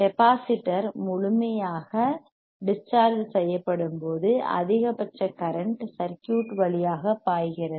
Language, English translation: Tamil, When the capacitor is fully discharged, the maximum current flows through the circuit correct